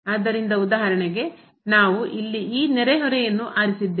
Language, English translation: Kannada, So, for example, we have chosen this neighborhood here